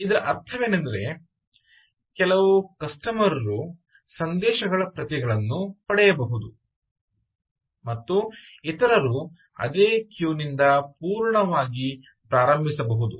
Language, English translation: Kannada, so what this actually means is some customers can get copies of messages, ah, while others full staring from the same queue